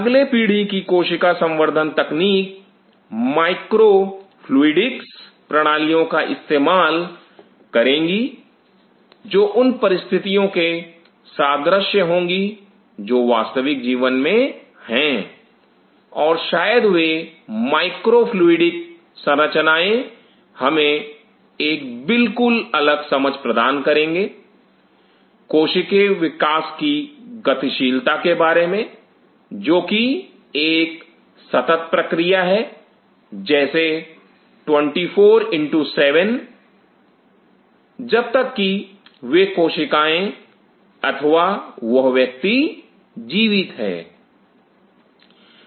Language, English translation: Hindi, The next gen cell culture technology will be using micro fluidics systems to mimic the conditions which are there in real life and maybe such micro fluidic structures will be given us a very different understanding about the dynamics of cellular growth is a continuous process 24X7 multiplied by x as long as those cells or that individual is alive